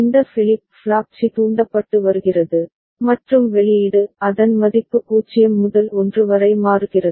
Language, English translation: Tamil, And this flip flop C is getting triggered, and the output is its value changes from 0 to 1